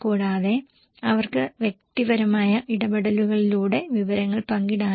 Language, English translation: Malayalam, And also maybe they can share the information through personal interactions